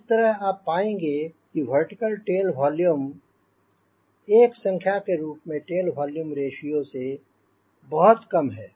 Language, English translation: Hindi, so naturally you find the vertical tail volume ratio, as per number is concerned, will you much less compared to tail volume ratio